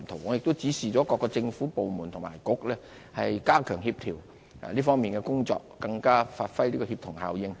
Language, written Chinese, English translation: Cantonese, 我已指示各個政府部門和政策局加強協調這方面的工作，發揮更大協同效應。, I have directed departments and bureaux to have closer coordination in this regard for greater synergy